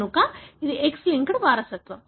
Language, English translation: Telugu, So it is X linked inheritance